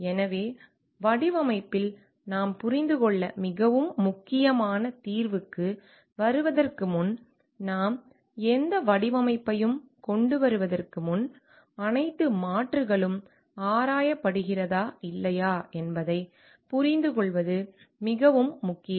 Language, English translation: Tamil, So and in design where before we come up to the solution which is very important to understand; like, before we come up with any design, it is very important to understand like have all alternatives being explored or not